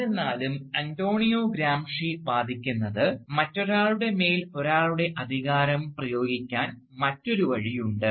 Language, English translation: Malayalam, However, Antonio Gramsci argues, that there is also another way in which one can exert one's authority over another